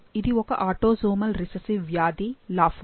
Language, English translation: Telugu, So, this is an autosomal recessive disease, lafora